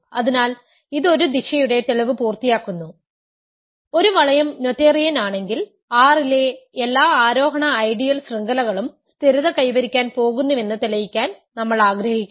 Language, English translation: Malayalam, So, this completes the proof of one direction right, we wanted to prove that if a ring is noetherian, every ascending chain of ideals in R is going to stabilize